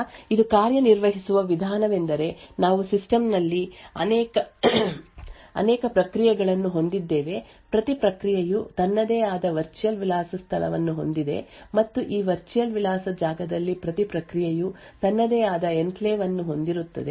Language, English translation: Kannada, So, the way it works is that we have multiple processes present in the system each process has its own virtual address space and within this virtual address space each process could have its own enclave